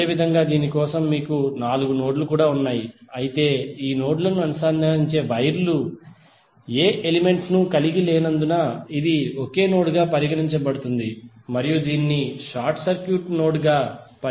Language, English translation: Telugu, Similarly for this also you have four nodes but it is consider as a single node because of the wires which are connecting this nodes are not having any elements and it can be consider as a short circuit node